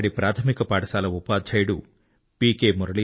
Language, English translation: Telugu, A Primary school teacher, P